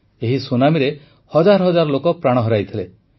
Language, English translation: Odia, Thousands of people had lost their lives to this tsunami